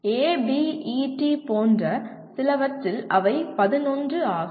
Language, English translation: Tamil, In some cases like ABET they are 11